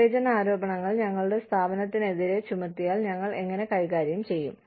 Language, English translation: Malayalam, How do we manage discrimination charges, if they are brought against, our organization